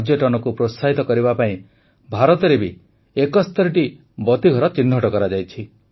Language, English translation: Odia, To promote tourism 71 light houses have been identified in India too